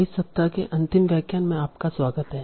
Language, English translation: Hindi, So, welcome back for the final lecture of this week